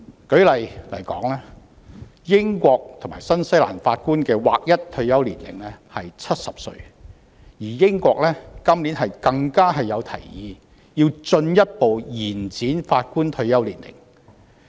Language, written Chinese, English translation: Cantonese, 舉例來說，英國和新西蘭法官的劃一退休年齡為70歲，而英國今年更提議進一步調高法官退休年齡。, For instance the United Kingdom and New Zealand have a uniform retirement age of 70 for Judges and in the United Kingdom it is even proposed this year that the retirement age for Judges be raised further